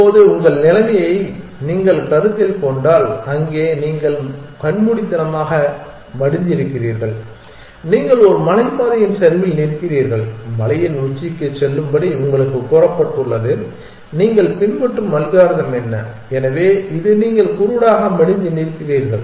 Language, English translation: Tamil, Now, if you consider your situation, there you are blind folded and you are standing on the slop of a hill side and you have been told to go to the top of the hill then what is the algorithm that you would follow is, so this is you standing blind folded